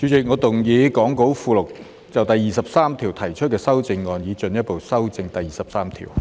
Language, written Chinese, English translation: Cantonese, 主席，我動議講稿附錄就第23條提出的修正案，以進一步修正第23條。, Chairman I move my amendments to clause 23 set out in the Appendix to the Script to further amend clause 23